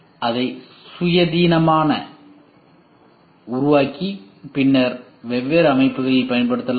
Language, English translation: Tamil, That can be independently created and then used in different systems